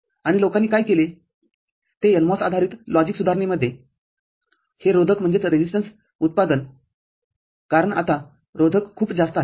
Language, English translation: Marathi, And what people have done they in the NMOS based logic development, this resistance manufacturing because now the resistances are very high